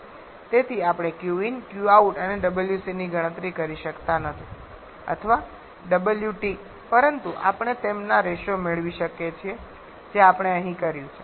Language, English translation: Gujarati, So, we cannot calculate Q in Q out Wc or Wt but we can get their ratios which exactly what we have done here